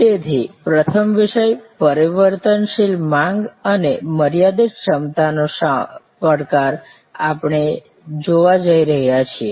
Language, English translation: Gujarati, So, the first topic that we are going to look at is the challenge of variable demand and constrained capacity